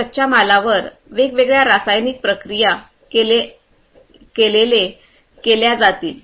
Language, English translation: Marathi, These raw materials we would be subjected to different chemical treatment